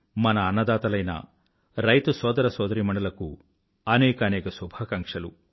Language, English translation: Telugu, Best wishes to our food providers, the farming brothers and sisters